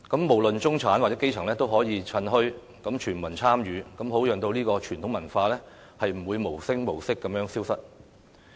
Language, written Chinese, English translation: Cantonese, 無論中產或基層也可以趁墟，全民參與，好讓這種傳統文化不會無聲無息地消失。, The middle class or the grass roots can then shop at these bazaars thus promoting universal participation and ensuring that this traditional culture would not disappear unnoticeably